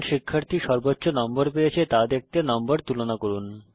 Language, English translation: Bengali, Compare the marks to see which student has scored the highest